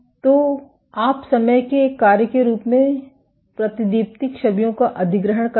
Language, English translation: Hindi, So, and you acquire the fluorescence images as a function of time